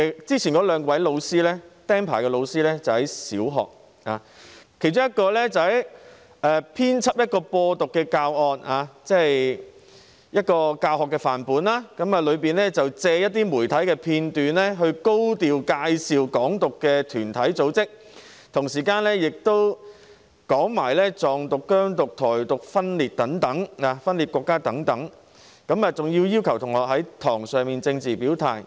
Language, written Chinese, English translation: Cantonese, 之前兩名被"釘牌"的老師在小學任教，其中一人編輯了一個"播獨"教案範本，借一些媒體片段，高調介紹"港獨"團體和組織，同時又提及"藏獨"、"疆獨"、"台獨"分裂國家等，更要求學生在課堂上作政治表態。, The two teachers whose registration has been cancelled worked in primary schools . One of them compiled a sample lesson plan that championed independence and made use of certain media clips to introduce Hong Kong independence groups and organizations in a high - profile manner . At the same time he also touched on secessionist movements such as Tibetan independence movement Xinjiang independence movement and Taiwan independence movement and even asked students to take a political stance in the classroom